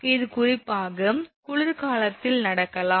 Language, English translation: Tamil, So, this this can happen particularly in the winter